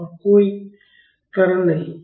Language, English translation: Hindi, And there is no acceleration